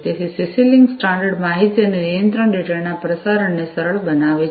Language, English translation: Gujarati, So, CC link standard facilitates transmission of information and control data